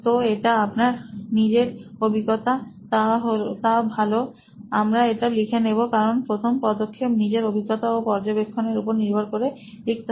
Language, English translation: Bengali, So this is from your own experience, good let us document that because this first step is about documenting it from your own experience and from what you observed, so that is there